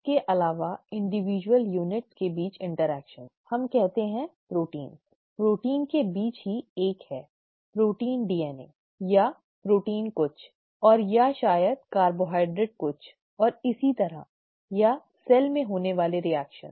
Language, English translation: Hindi, Also, interactions between individual units, say proteins, amongst proteins itself is 1; protein DNA, okay, or protein something else or maybe carbohydrate something else and so on or reactions that that occur in the cell